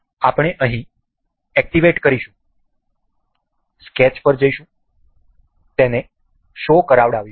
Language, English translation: Gujarati, We will just activate here, sketch, make it show